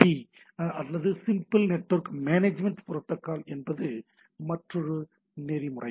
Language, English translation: Tamil, Now let us have another protocol that SNMP or Simple Network Management Protocol